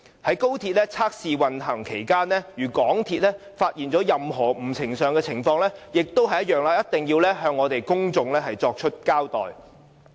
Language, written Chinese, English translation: Cantonese, 在高鐵測試運行期間，如港鐵公司發現任何不尋常的情況，也一定要向公眾作出交代。, During the trial runs of XRL if any anomalies are found MTRCL must give an account to the public